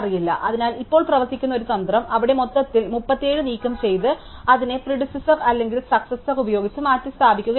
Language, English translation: Malayalam, So, now one strategy that works is to make a hole there to remove the 37 and replace it by either it is predecessor or successive